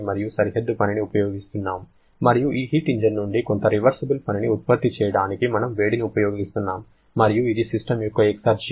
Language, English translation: Telugu, We are using the boundary work and also we are using the heat to produce some reversible work from this heat engine and so this is the exergy of the system